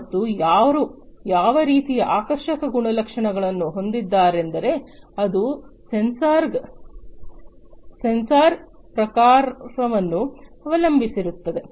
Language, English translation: Kannada, And who has what type of attractive properties it all depends on the type of sensor